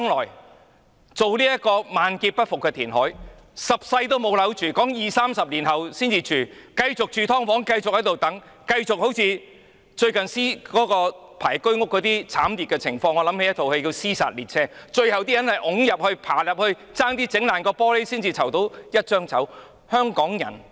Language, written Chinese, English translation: Cantonese, 一旦進行這個萬劫不復的填海工程，市民等十世也沒有樓住，要二三十年後才可以入住，其間要繼續住"劏房"，繼續等待，繼續經歷輪候居屋的慘烈情況——這令我想起電影"屍殺列車"；可能要擠入去、爬入去，差點打破玻璃才拿到一張籌。, Once the reclamation works are carried out Hong Kong will be doomed eternally and members of the public will have to wait probably 20 to 30 years before they can be allocated with housing . In the meantime they still have to live in subdivided units and wait painfully for HOS flats . That reminds me of the movie Train To Busan people try by every means to squeeze crawl or even break the glass to get into the train